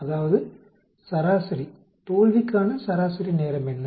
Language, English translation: Tamil, That is mean, what is the average time for failure